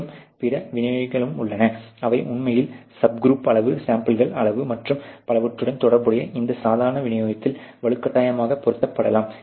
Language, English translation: Tamil, And they are other distributions also which can be force fitted on this normal distribution related really to the subgroup size, the sample size so on so for